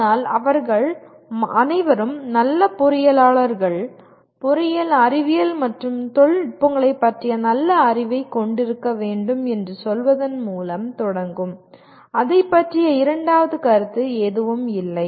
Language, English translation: Tamil, But all of them will start with say all good engineers must have sound knowledge of engineering sciences and technologies, on that there is absolutely no second opinion about it